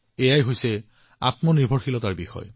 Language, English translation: Assamese, This is the basis of selfreliance